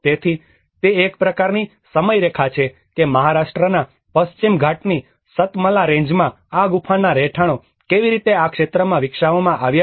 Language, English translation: Gujarati, So, that is a kind of timeline of how these cave dwellings have been developed in this region in the Satmala range of Western Ghats in Maharashtra